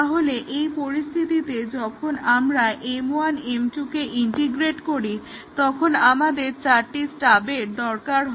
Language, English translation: Bengali, So, when we integrate M 1 with M 2, we need two stubs